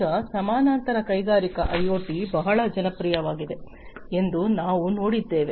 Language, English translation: Kannada, Now, we have also seen that parallely industrial IoT has become very popular, right